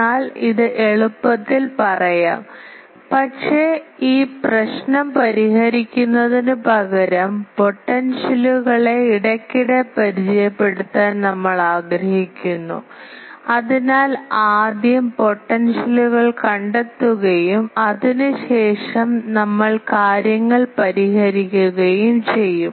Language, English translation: Malayalam, But this is easily said, but we said that instead of solving this problem we want to intermediately introduce the potential so that if we will first find the potential and after that we will solve the things